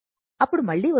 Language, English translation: Telugu, We will be back again